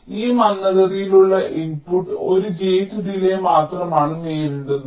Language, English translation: Malayalam, because this slowest input a is encountering only one gate delay